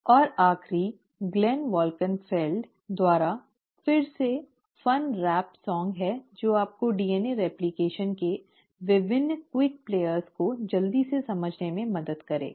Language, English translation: Hindi, And the last is a fun rap song again by Glenn Wolkenfeld which will just help you kind of quickly grasp the various quick players of DNA replication